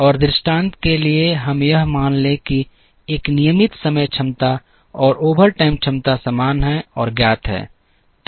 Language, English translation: Hindi, And for the sake of illustration let us assume that, a regular time capacity and overtime capacity are the same and are known